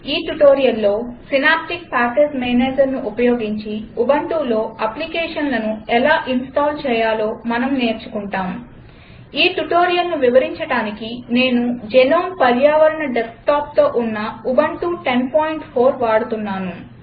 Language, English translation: Telugu, In this tutorial, we are going to learn how to install applications in Ubuntu using Synaptic Package Manager I am using Ubuntu 10.04 with gnome environment desktop to explain this tutorial